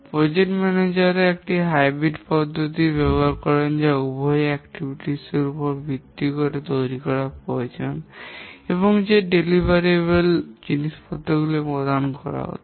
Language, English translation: Bengali, Project managers also use a hybrid approach which has both based on the activities that need to be carried out and also the deliverables that are to be given